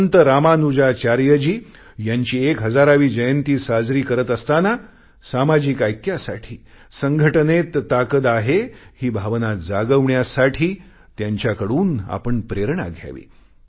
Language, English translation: Marathi, Now that we are celebrating the 1000th birth anniversary of Ramanujacharya, we should gain inspiration from him in our endeavour to foster social unity, to bolster the adage 'unity is strength'